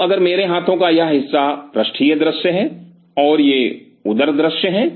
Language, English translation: Hindi, So, if this part of my hands is dorsal view and these are the ventral views